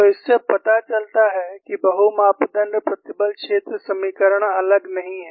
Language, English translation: Hindi, We also saw multi parameter displacement field equations